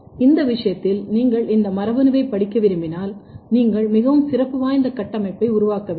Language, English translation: Tamil, Then in that case if you want to study this gene, you will have to generate a very special thing